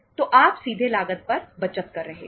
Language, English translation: Hindi, So you are saving upon the cost directly